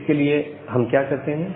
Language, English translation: Hindi, So, what we do here